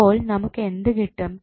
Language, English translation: Malayalam, So, what we get